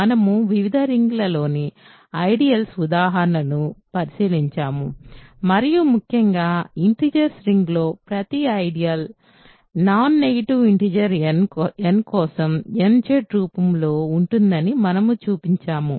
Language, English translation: Telugu, And, we looked at examples of ideals in various rings and in particular we showed that every ideal in the ring of integers is of the form nZ for a non negative integer n